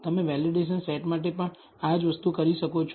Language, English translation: Gujarati, You can do a similar thing for the validation set also